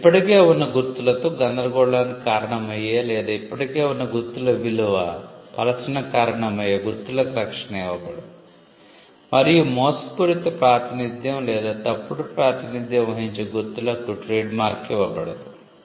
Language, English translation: Telugu, Marks which conflict with existing marks which can cause confusion with existing marks or cause dilution of existing known marks will not be granted protection and marks that make a fraudulent representation or a false representation will not be granted trade mark